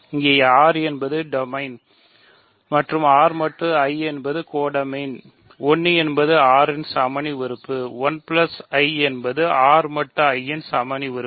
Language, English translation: Tamil, Here R is the domain ring, R mod I is the codomain ring, 1 is the ring identity element of R, 1 plus I is the identity element of R mod I